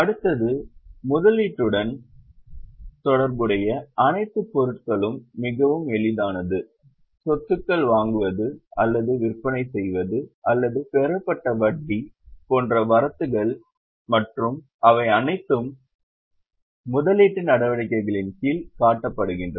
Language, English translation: Tamil, All those items which are related to investment, both inflows and outflows like purchase or sale of assets or interest received, they are all shown under the head investing activities